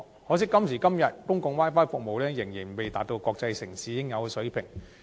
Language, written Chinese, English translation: Cantonese, 可惜到了今時今日，公共 Wi-Fi 服務仍未達到國際城市應有的水平。, Unfortunately public Wi - Fi services nowadays still fall short of the level commensurate with a cosmopolitan city